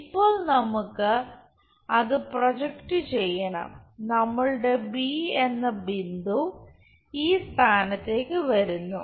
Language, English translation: Malayalam, Now, we have to project that so, our point b comes to this location